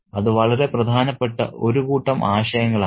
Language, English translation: Malayalam, And it's such a significant set of ideas